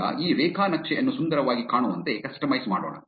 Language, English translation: Kannada, Now, let us customize this graph to make it look prettier